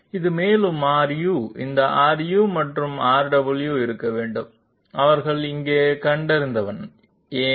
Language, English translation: Tamil, And in this one also R u this should be R u and R w, they are also figuring here, why